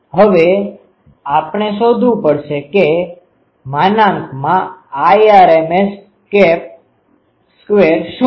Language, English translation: Gujarati, Now we will have to find out what is the Irma square